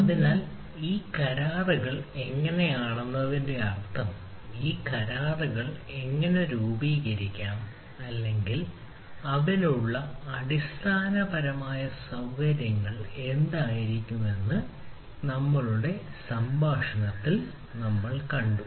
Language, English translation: Malayalam, so what we have seen in our sla talk, that how this agreements are means how this agreements can be formed or what will be the basic ah underlining infrastructure for that